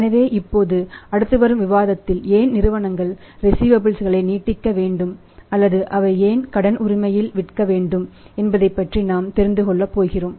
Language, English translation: Tamil, So, now in the next the current discussion we will be now knowing something about that why receivables are to be extended by the companies or why they should sell on the credit right